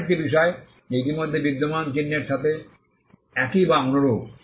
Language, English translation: Bengali, A matter that is same or similar to an already existing mark